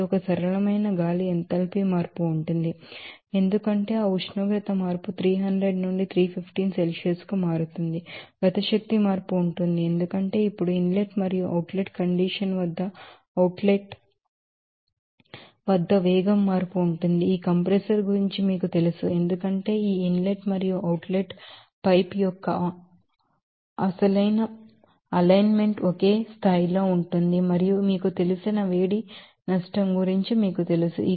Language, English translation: Telugu, So, this is a simple that air enthalpy change will be there, because of that temperature change from 300 to 315 Celsius, kinetic energy change will be there because of that velocity change at the inlet and outlet condition outlet now, you know of this compressor there will be no change or potential energy because of that alignment of this inlet and outlet pipe in the same level and you know that heat loss that is you know, because of this compressor that heat loss to the surrounding